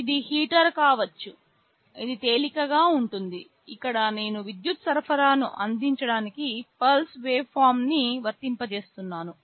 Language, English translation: Telugu, Well, it can be a heater; it can be light, where I am applying a pulse waveform to provide with the power supply